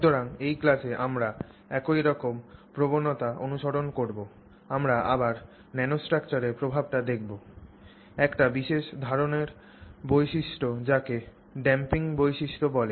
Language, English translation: Bengali, So, in this class we will follow a similar trend we will again look at the effect of nanostructure on a particular kind of property which is the damping property